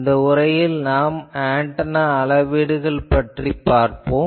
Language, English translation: Tamil, In this lecture, we will see the Antenna Measurements